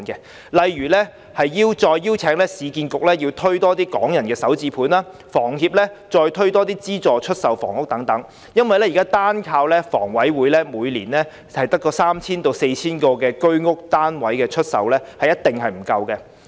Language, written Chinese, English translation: Cantonese, 舉例而言，政府應再邀請市建局推出更多"港人首置上車盤"，以及請房協再推出資助出售房屋項目，原因是現時單靠香港房屋委員會每年出售約三四千個居者有其屋單位，是一定不足夠的。, For instance the Government should invite URA to launch more Starter Homes again and invite HKHS to launch subsidized sale flats projects again . It is definitely inadequate to rely solely on the Hong Kong Housing Authority HKHA for the current sale of some 3 000 to 4 000 units under the Home Ownership Scheme HOS every year